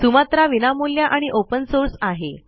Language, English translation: Marathi, And Sumatra is free and open source